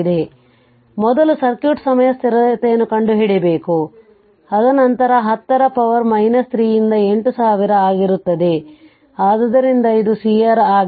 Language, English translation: Kannada, So, first you have to find out the time constant of the circuit, it will be then 10 to the power minus 3 into your 8000 right, so it is C R